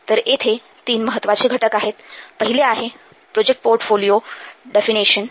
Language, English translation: Marathi, Let's see about first the project portfolio definition